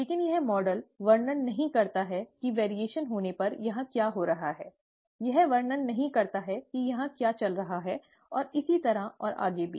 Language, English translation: Hindi, But this model does not describe what is going on here when there is a variation, does not describe what is going on here, and so on and so forth